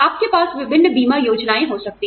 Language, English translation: Hindi, You could have various insurance plans